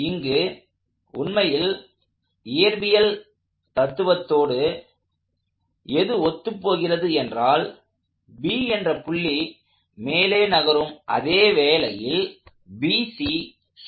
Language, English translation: Tamil, So, just to reconcile this with what we understand from physical reality, if the point B is moving up, the point B is moving up and BC is rotating all happening simultaneously